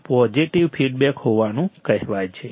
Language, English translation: Gujarati, It is said to be positive